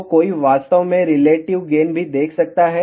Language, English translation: Hindi, So, one can actually see the relative gain also